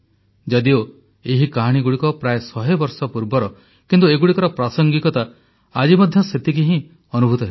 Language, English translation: Odia, Though these stories were written about a century ago but remain relevant all the same even today